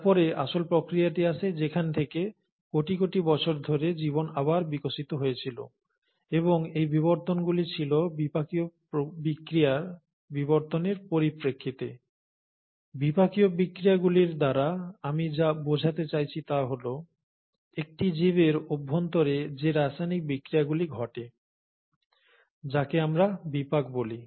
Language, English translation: Bengali, And then came the actual process from where the life went on evolving again over billions of years, and these evolutions were in terms of evolutions in metabolic reactions, what I mean by metabolic reactions are the chemical reactions which happen inside a living organism, is how we call as metabolism